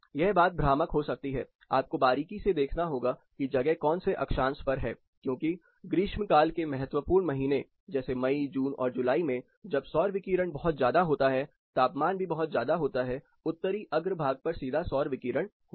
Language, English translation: Hindi, It might be misleading, you have to closely look at what latitude it is which decides because critical months like summers like May, June and July where solar radiation is also more, temperatures are also more, you are going to get direct solar radiation on your Northern facade here